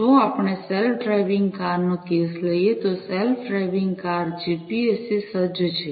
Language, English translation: Gujarati, If, we take the case of the self driving cars, the self driving cars are equipped with GPS